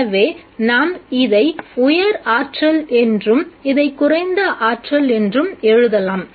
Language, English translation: Tamil, So let me write this as the higher energy and this as the lower energy